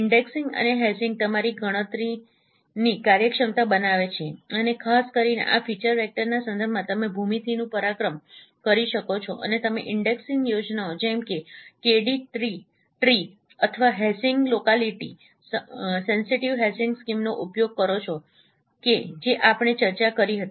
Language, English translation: Gujarati, The indexing and hashing it would make your efficient your computation efficient and in particular with respect to these feature vectors you can exploit the geometry and you can use the indexing schemes like KD tree or for hashing locality sensitive hashing schemes that we discussed